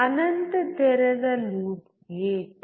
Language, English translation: Kannada, Infinite open loop gate